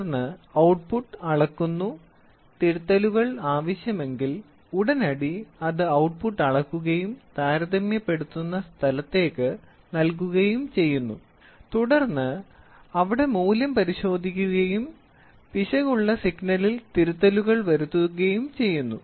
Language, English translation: Malayalam, Now, the output is measured and then if there are corrections to be made immediately it goes sends the output whatever is it, it measures the output and gives it back and then in the comparator it checks the value then error signal, corrections made